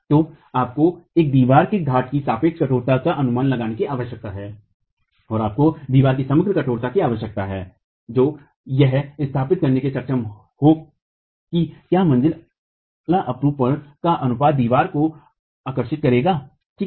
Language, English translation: Hindi, So, you need an estimate of the relative stiffness of the peer in a wall and you need the overall stiffness of the wall to be able to establish what is the proportion of the story shear that the wall will attract